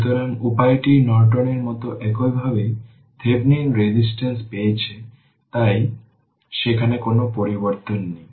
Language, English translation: Bengali, So, ah the way we have obtain Thevenin resistance same way Norton so there is no change there